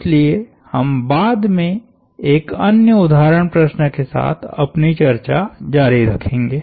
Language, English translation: Hindi, So, we will continue our discussion with another example problem later on